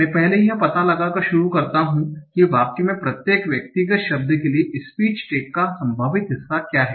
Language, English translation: Hindi, I first start by finding out what are the probable part of speech tax for each of the individual words in this sentence